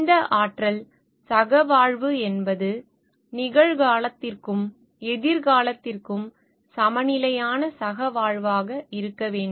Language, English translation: Tamil, And the coexistence this energy should be such that it is a balanced coexistence for the presence and future